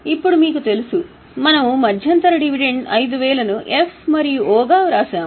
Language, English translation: Telugu, Now you know here we had written interim dividend 5,000 as F and O